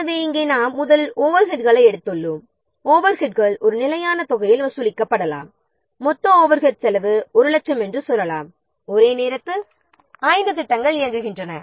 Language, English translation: Tamil, So here we have taken first the overrides and the over rates may be charged in a fixed amount, say there are total overhead cost is suppose, say, 1 lakh and there are five projects are running simultaneously